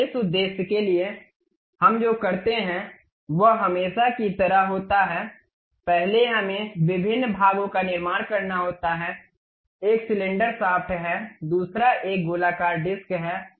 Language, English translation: Hindi, So, for that purpose, what we do is as usual first we have to construct different parts, one is cylinder shaft, other one is circular disc